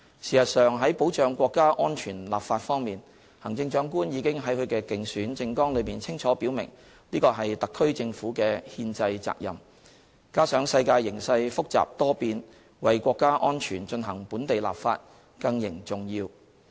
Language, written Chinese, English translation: Cantonese, 事實上，在保障國家安全立法方面，行政長官已經在她的競選政綱裏清楚表明，這是特區政府的憲制責任，加上世界形勢複雜多變，為國家安全進行本地立法更形重要。, In fact the Chief Executive has clearly stated in her election manifesto that it is a constitutional responsibility of the HKSAR Government to enact legislation to safeguard our national security . Moreover the world has become complicated and uncertain hence increasing the importance to legislate for national security here in Hong Kong